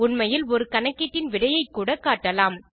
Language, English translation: Tamil, We can indeed display the result of a calculation as well